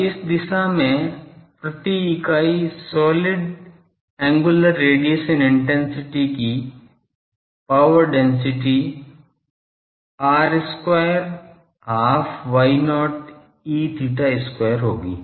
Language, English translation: Hindi, Now, the power density per unit solid angular radiation intensity in this direction will be r square half Y not E theta square